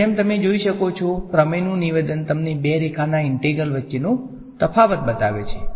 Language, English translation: Gujarati, Now as you can see the statement of the theorem shows you the difference between two line integrals